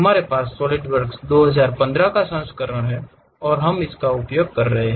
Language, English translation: Hindi, We have Solidworks 2015 version and we are using that